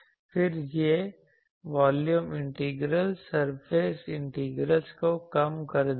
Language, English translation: Hindi, Then, this volume integrals will reduce to surface integrals